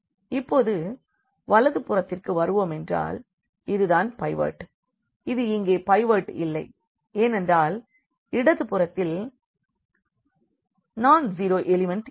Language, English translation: Tamil, Now, coming to the right one this is pivot see this is not the pivot here because the left you have a non zero element